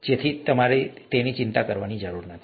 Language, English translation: Gujarati, Therefore you don’t have to worry about this